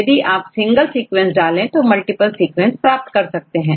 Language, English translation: Hindi, So, either you give the single sequence or the multiple sequences